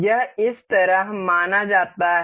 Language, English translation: Hindi, This is supposed to be like this